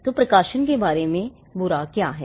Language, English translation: Hindi, So, what is bad about publication